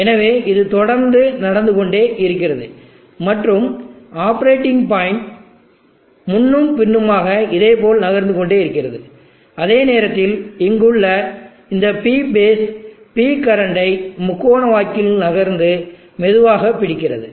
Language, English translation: Tamil, So it moves to the left so it keeps on happening and this operating point keeps moving back and forth like this same time this P base here is also moving up triangle catch up with P current slowly